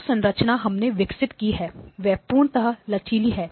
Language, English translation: Hindi, So actually the structure that we have developed is completely flexible